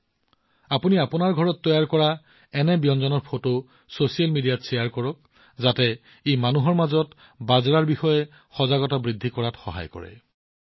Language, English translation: Assamese, You must share the pictures of such delicacies made in your homes on social media, so that it helps in increasing awareness among people about Millets